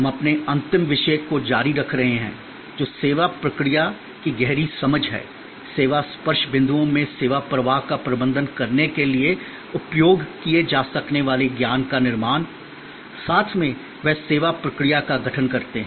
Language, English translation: Hindi, We are continuing our last topic, which is deeper understanding of the service process; create knowledge that can be used to manage the service flow in the service touch points, together they constitute the service process